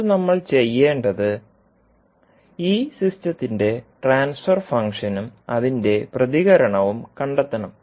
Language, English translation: Malayalam, Now, what we have to do, we have to find the transfer function of this system and its impulse response